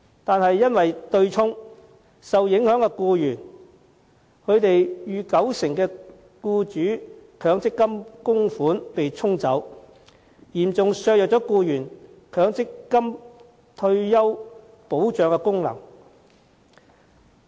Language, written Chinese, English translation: Cantonese, 然而，對沖機制令受影響僱員逾九成的強積金僱主供款被"沖走"，嚴重削弱僱員強積金的退休保障功能。, However under the offsetting mechanism over 90 % of employers contributions to MPF of the affected employees have been offset seriously weakening the function of MPF as a retirement protection for employees